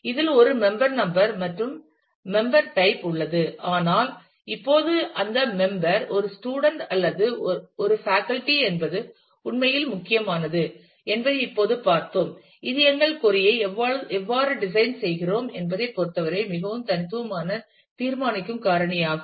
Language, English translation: Tamil, Which has a member number and the member type, but now we have just seen that it actually matters as to whether the member is a student or is a faculty is a more unique deciding factor in terms of, how we design our query